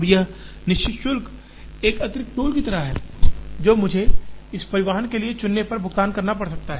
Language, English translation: Hindi, Now, this fixed charge would be like an additional toll that I may have to pay if I choose to transport from this to this